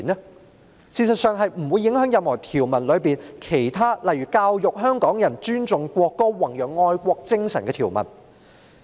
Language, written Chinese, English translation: Cantonese, 事實上，這項修正案不會影響《條例草案》中任何其他條文，例如教育香港人尊重國歌、宏揚愛國精神的條文。, In fact this amendment will not affect any other provisions in the Bill such as the provisions in relation to educating Hongkongers to respect the national anthem and those propagating a patriotic spirit